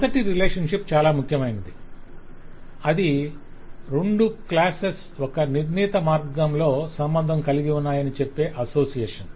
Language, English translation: Telugu, so the first relationship, which is quite important, is association, which says that the two classes are associated in a certain way